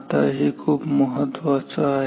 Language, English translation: Marathi, Now this is very important